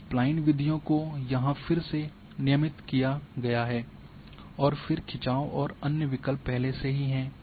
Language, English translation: Hindi, Now, Spline methods again here are regularized, and then have the tension one and those other options are already there